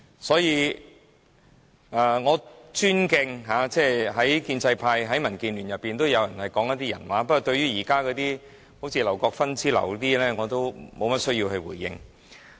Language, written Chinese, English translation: Cantonese, 所以，我尊敬在建制派、民建聯當中都有人會說人話，不過對於現時如劉國勳議員之流，我也沒有需要去回應。, For that reason I respect someone from the pro - establishment camp and DAB who are still speaking out the truth . But I do not find it necessary to respond to Mr LAU Kwok - fan and the like